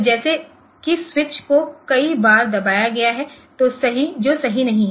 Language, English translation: Hindi, So, as if the switch has been pressed so many times which is not correct